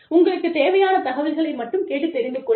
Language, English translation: Tamil, Ask only for information, that you need to know